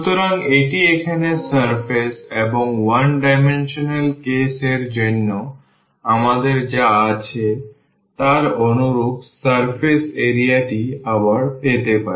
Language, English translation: Bengali, So, this is the surface here and we can get the surface area again similar to what we have for the 1 dimensional case